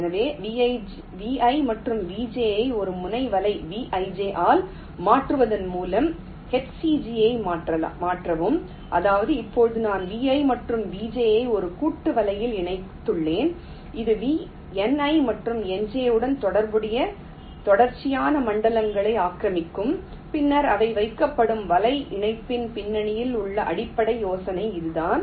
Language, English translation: Tamil, ok, so also modify h c g by replacing vi and vj by a node net, vij, which means that now i have merged vi and vj in to a composite net which will occupy can consecutive zones corresponding to ni and nj and later on they will be placed on the same track